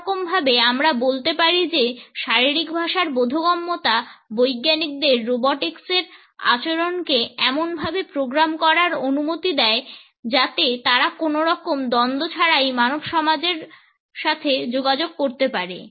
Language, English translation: Bengali, In a way, we can say that the understanding of body language would allow the scientist to program the behaviour of robotics in a manner in which they can interact with human society without any conflict